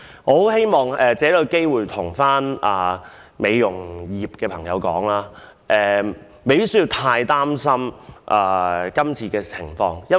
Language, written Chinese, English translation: Cantonese, 我希望藉此機會告訴美容業界的人士，他們不需要太擔心《條例草案》。, I hope to take this opportunity to tell members of the beauty industry that they need not worry too much about the Bill